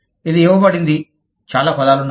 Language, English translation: Telugu, It is given, there are lot of words, given to it